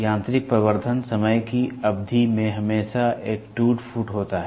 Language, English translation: Hindi, Mechanical amplification, over a period of time there is always a wear and tear